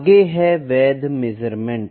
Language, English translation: Hindi, So, next is valid measurement